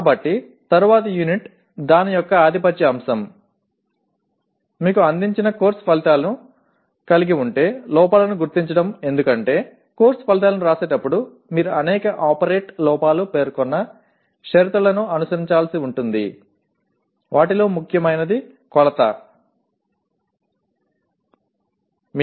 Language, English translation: Telugu, So the next unit will, the dominant aspect of it is identifying the errors if any in course outcomes presented to you because in writing course outcomes you are required to follow several operate errors specified conditions, most important one being measurability